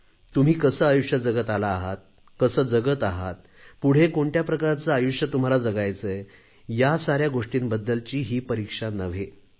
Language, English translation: Marathi, It is not a test of what kind of life have you lived, how is the life you are living now and what is the life you aspire to live